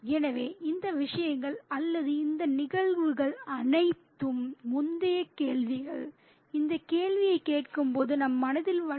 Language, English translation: Tamil, So, all these things, all these events, previous events crop up in our mind when this question is asked